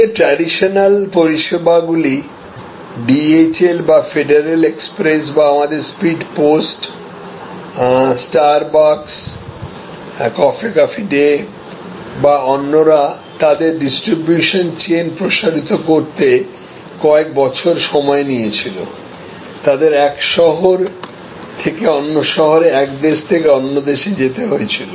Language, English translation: Bengali, So, earlier traditional services light say DHL or federal express or our speed post, traditional services likes say star bucks, coffee cafe day or others took years to expand their distribution chain took years they had to go from one city to the other city, go from one country to the other country